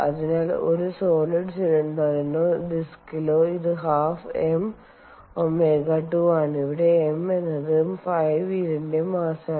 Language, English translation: Malayalam, so for a solid cylinder or a disk, it is half m omega squared, where m is the mass of the flywheel